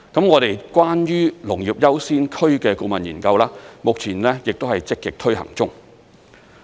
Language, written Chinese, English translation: Cantonese, 我們關於"農業優先區"的顧問研究，目前亦都是積極推行中。, And the consultancy study on Agricultural Priority Areas is in active progress